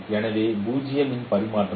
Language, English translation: Tamil, So that is equal to 0